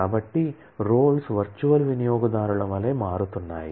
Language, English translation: Telugu, So, roles are becoming like virtual users